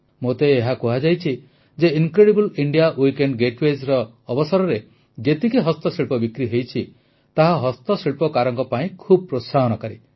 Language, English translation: Odia, I was also told that the total sales of handicrafts during the Incredible India Weekend Getaways is very encouraging to the handicraft artisans